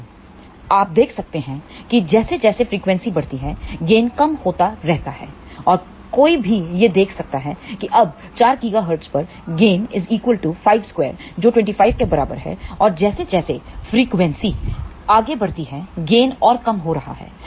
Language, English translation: Hindi, But you can see that as frequency increases, gain keeps on decreasing and one can see that somewhere at 4 gigahertz now, gain is just about 5 square which is equal to 25 and as frequency increases further, gain is reducing further